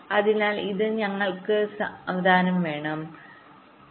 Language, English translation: Malayalam, ok, so this we shall see slowly